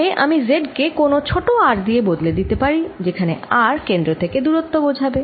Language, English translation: Bengali, so later i can replace this z by small r, where r will indicated the distance from the center